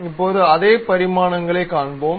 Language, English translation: Tamil, Now, let us see of the same dimensions